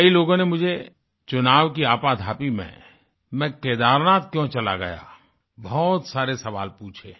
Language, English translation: Hindi, Amidst hectic Election engagements, many people asked me a flurry of questions on why I had gone up to Kedarnath